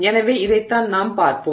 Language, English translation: Tamil, So, this is what we will look at